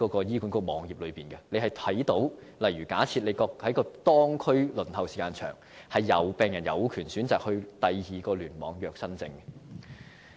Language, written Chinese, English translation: Cantonese, 醫管局網頁已註明這一點，假設病人看到當區輪候時間很長，他們有權選擇在其他聯網預約新症。, This message is highlighted on HAs website . If patients notice that the waiting time in their districts is unduly long they may choose to make their first appointment in other clusters